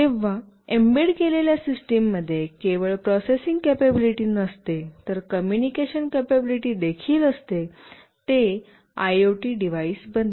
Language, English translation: Marathi, Whenever an embedded system not only has processing capability, but also has communication capability, it becomes an IoT device